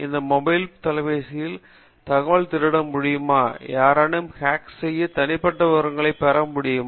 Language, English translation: Tamil, Will my data in this mobile phone be stolen or if they ask you a question, can somebody hack and get some personal details from this mobile phone